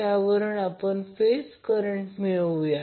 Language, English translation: Marathi, Now we have another way to obtain these phase currents